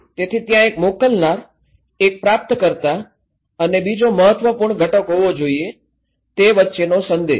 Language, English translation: Gujarati, So, there should be one sender, one receiver and another important component is the message between